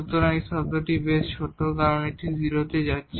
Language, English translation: Bengali, So, this term is pretty smaller because this is also going to 0 and this is also going to 0